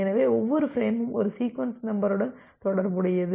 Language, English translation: Tamil, So, every frame is associated with one sequence number